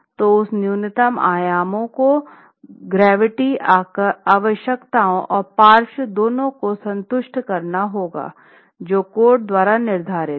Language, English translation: Hindi, So, those minimum dimensions have to satisfy both gravity requirements and the lateral load requirements as prescribed by the code